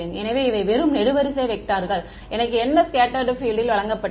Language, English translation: Tamil, So, these are just column vectors; what is given to me is the scattered field right